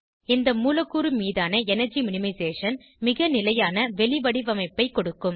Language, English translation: Tamil, Energy minimization on this molecule will give us the most stable conformation